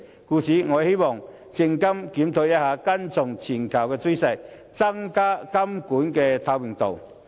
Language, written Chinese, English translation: Cantonese, 因此，我希望證監會檢討，跟從全球趨勢，增加監管的透明度。, Therefore I hope SFC would conduct a review and follow the global trend of enhancing the transparency of regulatory work